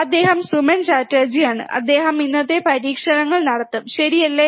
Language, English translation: Malayalam, So, he is Suman Chatterjee, and he will be performing the experiments today, alright